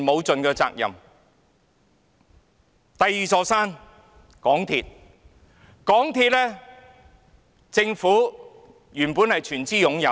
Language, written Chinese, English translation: Cantonese, 眾所周知，港鐵公司原本由政府全資擁有。, As we all know MTRCL was originally wholly owned by the Government